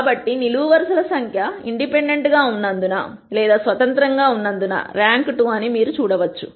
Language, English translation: Telugu, So, you can see that the number of columns 2 since they are independent the rank is 2